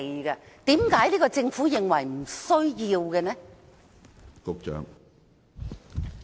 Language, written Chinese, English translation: Cantonese, 為甚麼現屆政府認為沒有需要立法？, Why does the current - term Government think that it is unnecessary to do so?